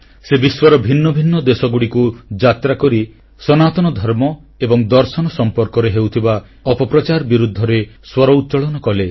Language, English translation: Odia, She travelled to various countries and raised her voice against the mischievous propaganda against Sanatan Dharma and ideology